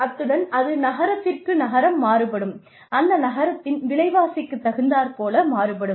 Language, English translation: Tamil, And, it varies from city to city, depending on, how expensive, that city is